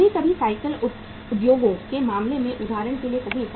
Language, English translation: Hindi, Sometimes say for example in case of the bicycle industries